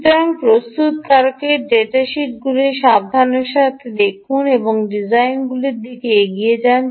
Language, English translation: Bengali, ok, so do look at the manufacturers data sheets carefully and go ahead with the design